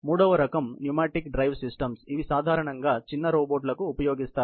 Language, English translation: Telugu, The third type is pneumatic drive systems, which are generally used for smaller robots